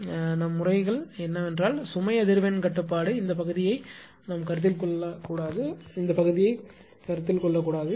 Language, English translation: Tamil, So, but our cases is we will only consider that load frequency control will cannot consider this part will not consider this part